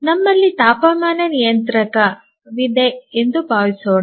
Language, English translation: Kannada, Let's say that we have a temperature controller